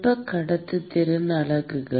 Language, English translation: Tamil, Thermal conductivity units are …